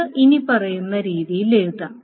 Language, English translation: Malayalam, This can be done in the following manner